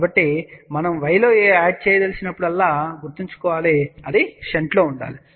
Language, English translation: Telugu, So, remember in y whenever we want to add, this has to be in shunt